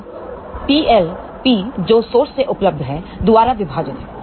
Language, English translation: Hindi, So, P l divided by P available from the source